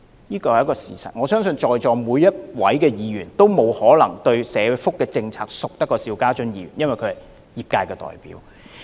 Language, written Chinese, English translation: Cantonese, 這是事實，而我亦相信在席各位議員皆沒有可能比邵議員更熟悉社福制度，因為他是業界代表。, This is a fact . And I do not believe that Members who are now present can be more familiar with our social welfare system than Mr SHIU because Mr SHIU is an industry representative